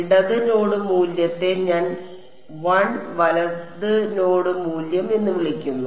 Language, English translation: Malayalam, Left node value I called as 1 right node value I called as 2